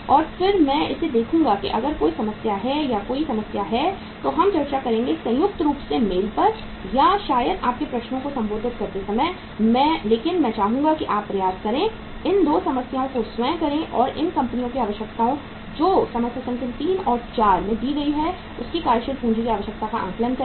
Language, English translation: Hindi, And then uh I will see to it that if there is any problem or if there is any issue then we will discuss jointly mutually on mail or maybe uh while addressing your queries but I would like that you try to do these 2 problems yourself and assess the working capital requirement net working capital requirements of these companies which are given in the problem number 3 and 4